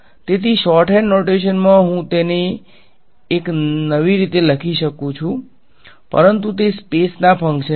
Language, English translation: Gujarati, So, in shorthand notation I am just writing it as a new, but they are all functions of space ok